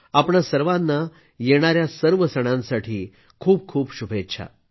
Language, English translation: Marathi, Heartiest greetings to all of you on the occasion of the festivals